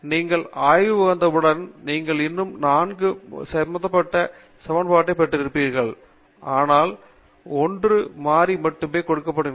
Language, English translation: Tamil, Once you get into the research you will still have an equation involving 4 variables, but you are only given 1 variable